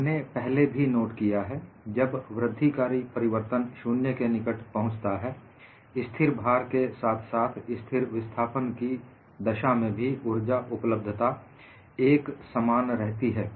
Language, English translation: Hindi, We have already noted, as the incremental changes become closer to 0, the energy availability in constant load as well as constant displacement is identical